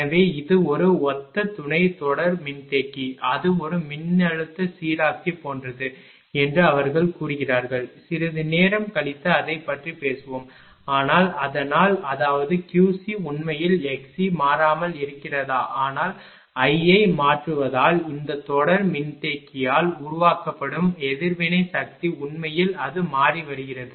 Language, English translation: Tamil, So, it is analogous sub series capacitor they say what that ah it is something like a voltage regulator later little bit we will talk about that, but so; that means, is Q c actually x c remain constant, but because of changing I that reactive power generated by this series capacitor actually it is changing